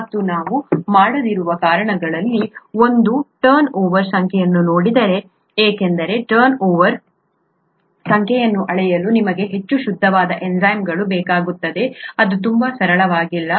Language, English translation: Kannada, And this is one of the reasons why we don’t look at turnover number because you need highly pure enzymes to even measure turnover number which itself is not very straightforward